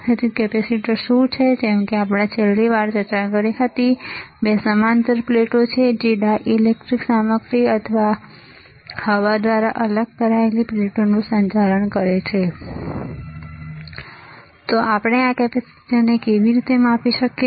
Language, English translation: Gujarati, So, what are capacitors like we discussed last time, they are two parallel plates conducting plates separated by a dielectric material or air